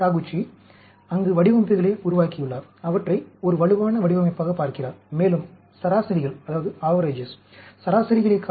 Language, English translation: Tamil, Taguchi, there, has developed designs, looking at them as a possible robust design and also looking at the variations, rather than the averages